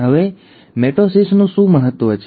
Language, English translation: Gujarati, Now what is the importance of mitosis